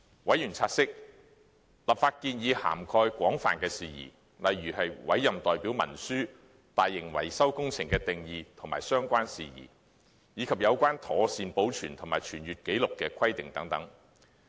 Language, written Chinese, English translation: Cantonese, 委員察悉立法建議涵蓋廣泛的事宜，例如委任代表文書、"大型維修工程"的定義及相關事宜，以及有關妥善保存和傳閱紀錄的規定等。, Members noted that the legislative proposals covered a wide range of issues such as proxy instruments definition of large - scale maintenance projects and the related matters and the requirements on safekeeping and circulation of records and so on